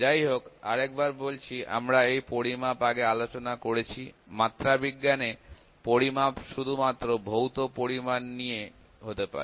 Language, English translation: Bengali, Just to recall; however, we have discussed measurement before; measurement in metrology can be only about the physical quantities; physical quantities only um